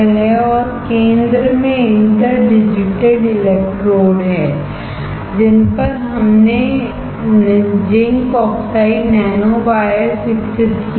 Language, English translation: Hindi, And in center there are interdigitated electrodes on which we have grown zinc oxide nanowires